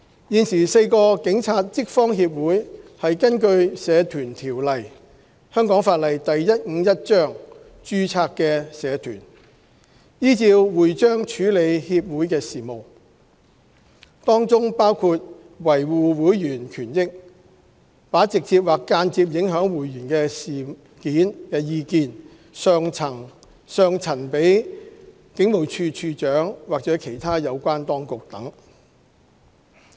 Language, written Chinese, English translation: Cantonese, 現時4個警察職方協會是根據《社團條例》註冊的社團，依照會章處理協會事務，當中包括維護會員權益、把直接或間接影響會員事件的意見上陳警務處處長或其他有關當局等。, At present the four police staff associations are registered societies under the Societies Ordinance Cap . 151 and deal with affairs of the association in accordance with their charter including maintaining the rights of their members submitting the views on matters which will directly or indirectly affect members to the Commissioner of Police or other concerned authorities etc